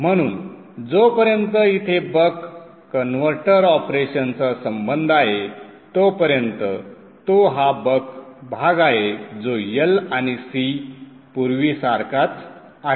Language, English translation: Marathi, So as far as the Buck Hattverter operation is concerned concerned, the Buck portion that is the LNC is exactly same as before